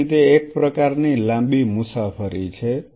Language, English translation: Gujarati, So, it is kind of a long haul journey